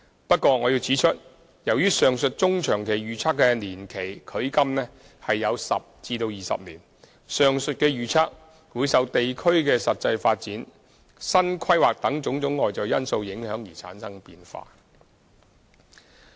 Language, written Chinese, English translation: Cantonese, 不過，我要指出，由於上述中、長期預測的年期距今有10至20年，上述預測會受地區的實際發展、新規劃等種種外在因素影響而產生變化。, However I would like to point out that since the aforementioned mid - to long - term projections focus on a time that is 10 to 20 years from now the estimations above may vary as a result of external factors such as the respective developments of the three places and new planning initiatives